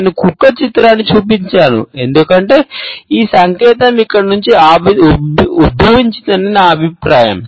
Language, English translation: Telugu, I showed a picture of the dog, because there is in my opinion where this sign originates from